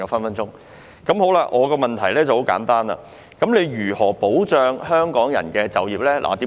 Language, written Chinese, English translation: Cantonese, 我的補充質詢很簡單：當局如何保障港人就業？, My supplementary question is very simple How will the Government safeguard jobs for Hong Kong people?